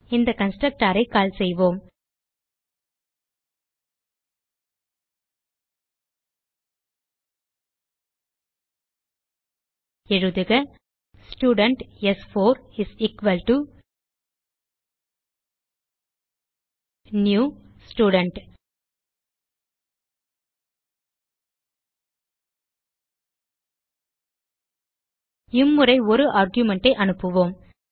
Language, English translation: Tamil, Now let us call this constructor So type Student s4 is equalto new Student this time we will pass an single argument